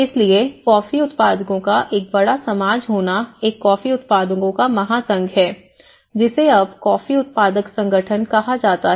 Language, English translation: Hindi, So, being a large society of coffee growers is a coffee growers federation which is now termed as coffee growers organizations